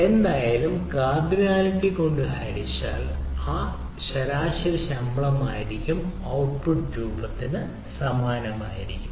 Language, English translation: Malayalam, ah, anyway, that total divided by the cardinality will be the average salary of the things